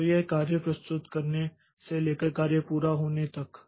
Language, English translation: Hindi, So, this is from the submission of the job till the job completes